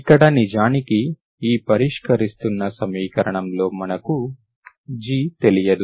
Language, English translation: Telugu, So I am actually solving this equation where G is unknown